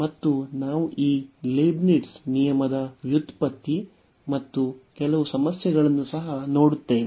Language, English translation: Kannada, And we will go through also the derivation of this Leibnitz rule and some worked problems